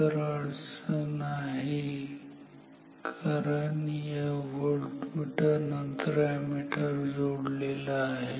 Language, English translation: Marathi, So, the problem is due to the fact that the ammeter is after this voltmeter